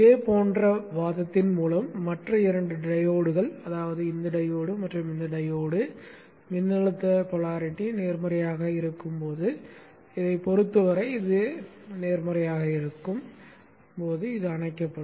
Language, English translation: Tamil, By a similar argument it can be seen that the other two diodes, that is this diode and this diode will be turned off when the voltage polarity is positive when this is positive with respect to this